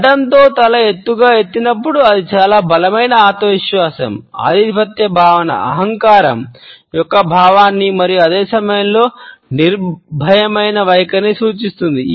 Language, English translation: Telugu, When the head is lifted high with the chin jetted out then it suggest a very strong self confidence, a feeling of superiority, a sense of arrogance even and at the same time a fearless attitude